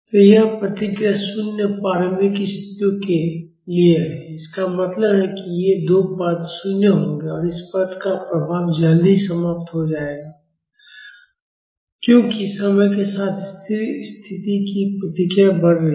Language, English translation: Hindi, So, this response is for zero initial conditions; that means, these two terms will be 0 and the effect of this term will die out soon, as the steady state response is increasing with time